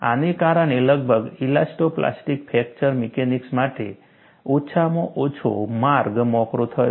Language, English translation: Gujarati, This paved the way for elasto plastic fracture mechanics, at least approximately